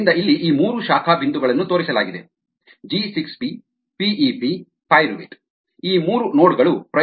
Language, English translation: Kannada, so these three branch points are shown: g six, p, p e, p pyruvate, these three nodes